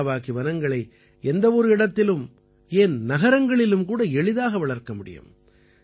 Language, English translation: Tamil, Miyawaki forests can be easily grown anywhere, even in cities